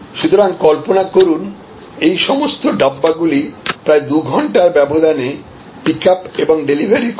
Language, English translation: Bengali, So, imagine that all these Dabbas are picked up within a span of about 2 hours and delivered